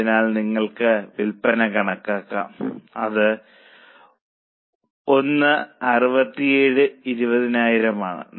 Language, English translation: Malayalam, So, you can calculate the sales which is 1,067,000